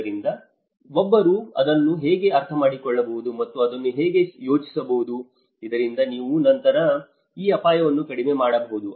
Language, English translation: Kannada, So, how one can understand this and how can plan for it so that you can reduce these risks later